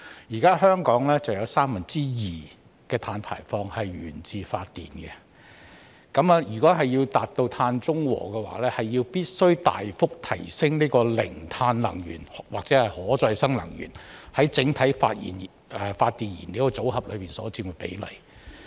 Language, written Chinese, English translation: Cantonese, 現時，香港有三分之二的碳排放源自發電，如果要達至碳中和，必須大幅提升零碳能源或可再生能源在整體發電燃料組合所佔的比例。, At present two thirds of carbon emissions in Hong Kong come from power generation and to achieve carbon neutrality it is necessary to substantially increase the proportion of zero - carbon energy or renewable energy in the overall fuel mix for power generation